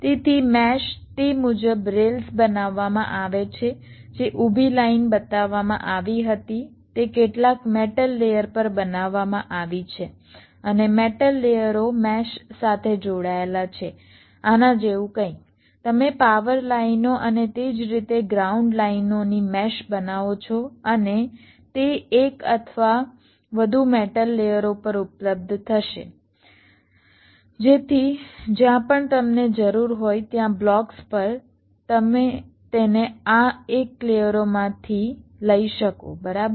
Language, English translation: Gujarati, these are created on some metal layers and the metal layers are connected to the mesh, something like this: you create a mesh of power lines and also ground lines similarly, and they will be available on one or more metal layers so that on the blocks, wherever you need them, you can take it from one of this layers, right